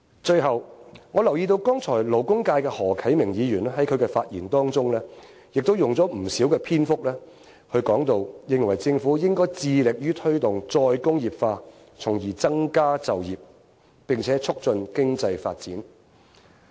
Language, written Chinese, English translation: Cantonese, 最後，我留意到剛才勞工界的何啟明議員在他的發言當中，亦都用了不少篇幅，認為政府應該致力於推動再工業化，從而增長加就業，並且促進經濟發展。, At last I have noticed that Mr HO Kai - ming the representative of the labour constituency has spent much length in his speech to urge the Government to promote re - industrialization in order to boost employment and promote economic development